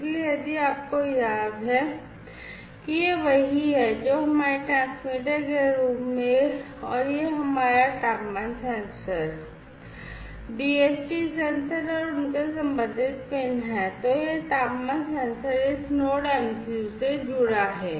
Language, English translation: Hindi, So, if you recall that this is what we have as our transmitter and this is our temperature sensor, the DHT sensor, and their corresponding pins, this temperature sensor is connected to this Node MCU